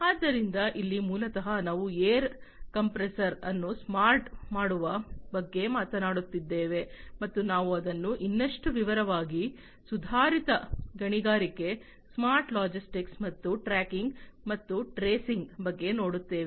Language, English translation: Kannada, So, here basically it is a air compressor that we are talking about making it smart, making a air compressor smart and so on so, we will look at it in further more detail, improved mining, smart logistics, and tracking and tracing